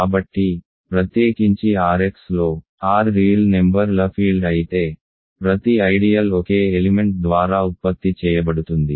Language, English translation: Telugu, So, in particular in R x if R is the field of real numbers every ideal is generated by a single element